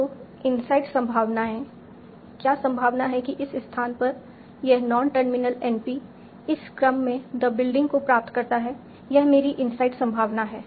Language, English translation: Hindi, So inside probability is what is the probability that this non terminal n p at this location derives the sequence the building